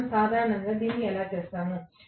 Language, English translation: Telugu, That is how we do it normally